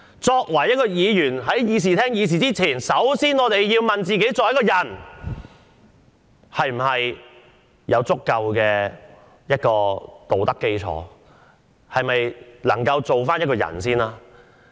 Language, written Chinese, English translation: Cantonese, 作為一位議員，首先要問問自己，是否有足夠作為一個人的道德基礎？是否能當一個人？, As a Member we must first ask ourselves if we have the ethics as a person and whether we have the integrity of becoming a person